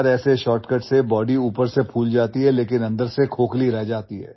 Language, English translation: Hindi, Friend, with such shortcuts the body swells from outside but remains hollow from inside